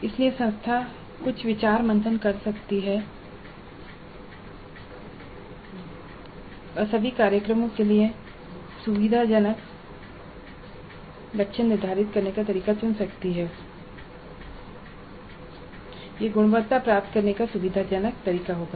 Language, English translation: Hindi, So the institute can do certain brainstorming and they choose one method of setting the target for all the courses in all the programs and that would be a convenient way of achieving the quality